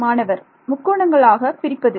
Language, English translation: Tamil, Break into triangles so right